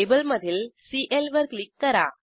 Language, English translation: Marathi, Click on Cl from the table